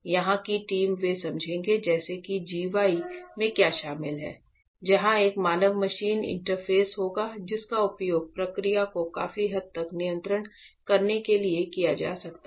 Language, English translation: Hindi, So, the team here they will explain like exactly what is involved in this g y; where we will this is a human machine interface which can be used to control to a large extent the process